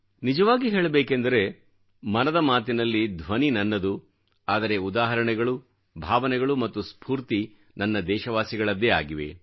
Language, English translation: Kannada, Honestly speaking, Mann Ki Baat carries my voice but the examples, emotions and spirit represent my countrymen, I thank every person contributing to Mann Ki Baat